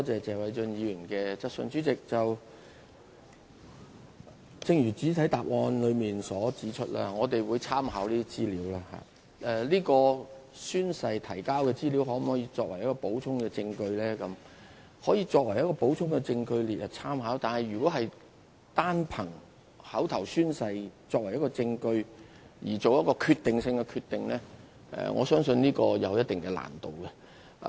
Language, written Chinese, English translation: Cantonese, 主席，正如我在主體答覆中指出，我們會參考這些資料，至於經宣誓所提交的資料可否作為補充證據這一點，我們可以把它列作參考的補充證據，但如果單憑口頭宣誓作為一項證據以作出決定性的決定，我相信會有一定難度。, President as I have pointed out in my main reply we will make reference to such information . As to whether information provided on oath can be accepted as supplementary evidence well it can be listed as supplementary evidence but it will be quite difficult to make a crucial decision on the sole basis of oral evidence given on oath